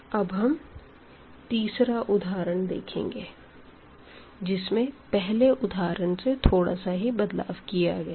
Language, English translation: Hindi, Now, we will go to the third example which is again slightly changed